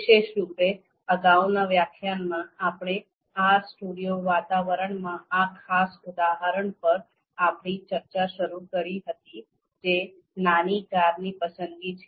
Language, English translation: Gujarati, So specifically in the previous lecture, we started our discussion of this particular example in RStudio environment that is choice of a small car